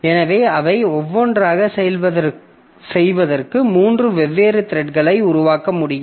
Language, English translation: Tamil, So, I can create three different thread for doing each of them